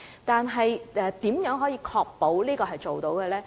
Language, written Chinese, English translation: Cantonese, 但是，如何確保市建局做到這點呢？, But how can we be sure that URA will do that?